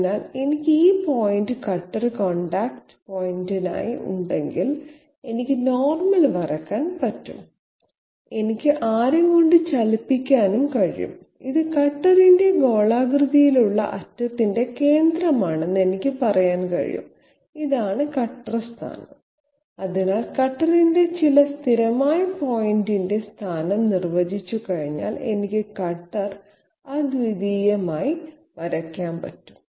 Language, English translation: Malayalam, So that way if I have this point as the cutter contact point, I can draw the normal, I can move by the radius, I can say this is the centre of the spherical end of the cutter this is the cutter position that is it, so I can draw the cutter uniquely once I have defined the position of some you know constant point on the cutter